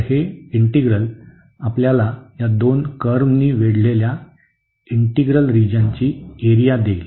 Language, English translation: Marathi, So, this integral will give us the area of the integral of the region bounded by these two curves